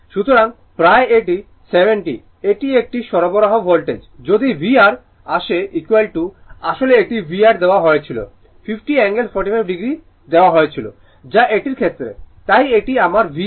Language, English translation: Bengali, So, approximately it is 70 this is a supply voltage if you come to V R V R is equal to actually it was given V R it was given 50 angle 45 degree that is with respect to this one so this is my V R